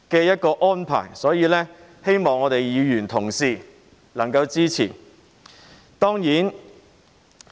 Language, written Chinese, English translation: Cantonese, 因此，希望議員同事能夠支持。, Thus I hope that Members can support it